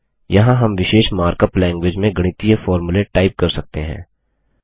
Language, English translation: Hindi, Here we can type the mathematical formulae in a special markup language